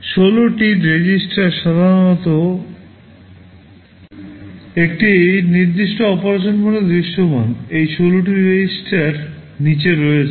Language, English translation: Bengali, 16 registers are typically visible in a specific mode of operation; these 16 registers are as follows